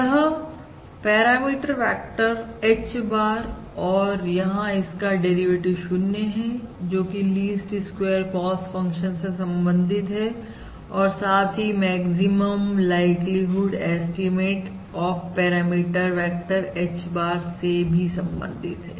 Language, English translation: Hindi, That is the parameter vector H bar where the derivative is, where, where the derivative is 0 corresponds to the least squares cost function and that corresponds to basically the maximum likelihood estimate of the parameter vector H